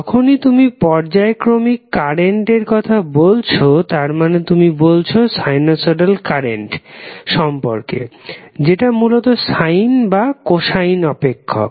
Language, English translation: Bengali, So, whenever you say that this is alternating current, that means that you are talking about sinusoidal current that would essentially either in the form of sine or cosine function